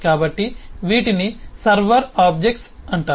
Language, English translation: Telugu, so these are known as the server objects